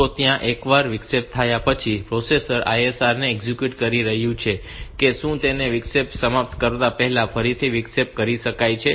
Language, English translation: Gujarati, So, the processor is executing the ISR can it be interrupted again before finishing the interrupt